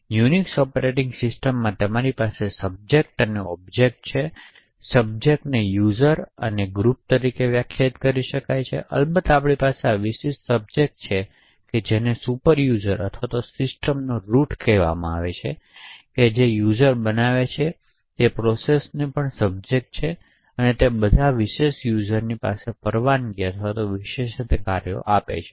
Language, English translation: Gujarati, So in Unix operating system you have subjects and objects, subjects are defined as users and groups and of course we have this special subject which is the superuser or the root of the system, processes that a user creates are also subjects and essentially they inherit all the permissions and privileges that particular user has